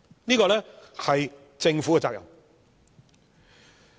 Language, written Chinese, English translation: Cantonese, 這是政府的責任。, Hence the Government is obliged to do so